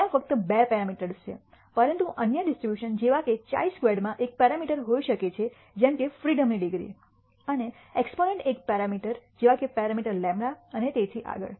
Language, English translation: Gujarati, There is only there are two parameters, but other distributions such as chi squared may have one parameter such as the degrees of freedom and exponent will have one one parameter such as the parameter lambda and so on so forth